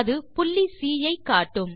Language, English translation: Tamil, It shows point C